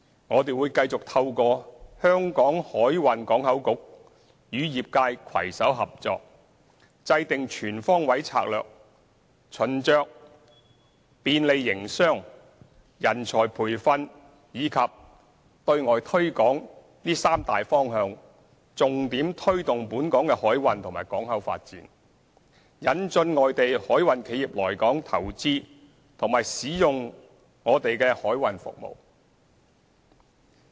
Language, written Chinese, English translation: Cantonese, 我們會繼續透過香港海運港口局與業界攜手合作，制訂全方位策略，循着"便利營商"、"人才培訓"及"對外推廣"三大方向，重點推動本港的海運及港口發展，引進外地海運企業來港投資和使用我們的海運服務。, We will continue to work with the industry through the cooperation of the Hong Kong Maritime and Port Board HKMPB to formulate a full range of strategies . Following the guidelines of facilitating business training talent and external promotion we will focus on promoting the development of maritime transport and ports in Hong Kong and attracting foreign maritime companies to invest in Hong Kong and use our maritime services